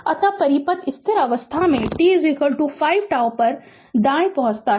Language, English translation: Hindi, So, circuit reaches steady state at t is equal to 5 tau right